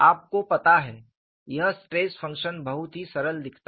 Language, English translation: Hindi, You know, this stress function looks very, very simple